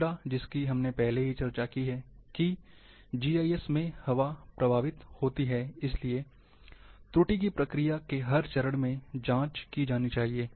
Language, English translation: Hindi, The third one in which we have discussed already, that air propagates in GIS, hence the error, should be checked, at every stage of process